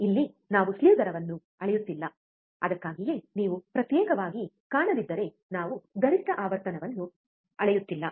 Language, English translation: Kannada, Here we are not measuring the slew rate that is why if you do not see a separate we are not measuring maximum frequency